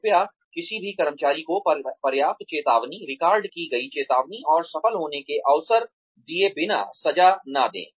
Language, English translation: Hindi, Please do not inflict punishment, on any employee, without giving them, enough number of warnings, recorded warnings, and opportunities to succeed